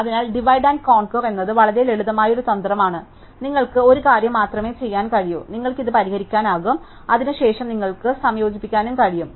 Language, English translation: Malayalam, So, divide and conquer is a very simple minded strategy, you can only do one thing, you can solve this and then, you can combine